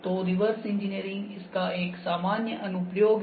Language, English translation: Hindi, So, reverse engineering is the general application